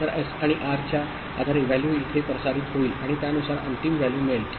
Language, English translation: Marathi, So, based on S and R the value will be transmitted here and accordingly the final value will be arrived at, ok